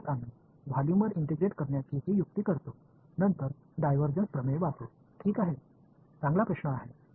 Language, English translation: Marathi, So, that is why we do this trick of integrating over volume then using divergence theorem ok, good question right